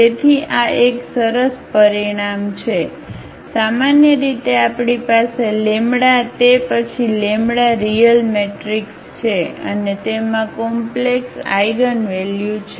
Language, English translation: Gujarati, So, that is a nice result here in general we have this then A is a real matrix and has complex eigenvalues